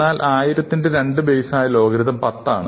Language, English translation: Malayalam, So, log to the base 2 of 1000 is 10